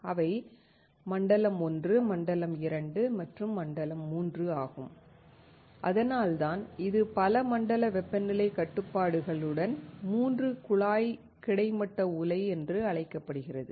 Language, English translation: Tamil, They are Zone 1, Zone 2 and, Zone 3, and that is why it is called three tube horizontal furnace with multi zone temperature control